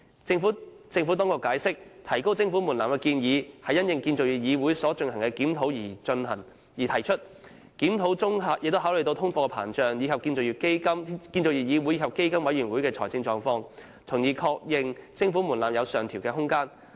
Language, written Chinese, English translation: Cantonese, 政府當局解釋，提高徵款門檻的建議是因應建造業議會所進行的檢討而提出，檢討中考慮到通貨膨脹，以及建造業議會和基金委員會的財政狀況，從而確認徵款門檻有上調空間。, According to the Administration the proposal to raise the levy thresholds is made pursuant to a review by CIC . Taking into account the cumulative inflation as well as the financial positions of CIC and PCFB the review has confirmed that there is room for a rise in levy thresholds